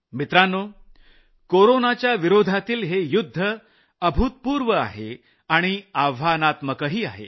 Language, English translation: Marathi, Friends, this battle against corona is unprecedented as well as challenging